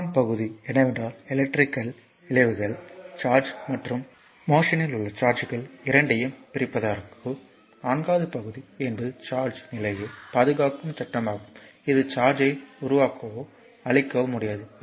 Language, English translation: Tamil, And third point is the electrical effects are attributed to both the separation of charge and your charges in motion and the fourth point is the law of conservation of charge state that charge can neither be created nor destroyed only transferred right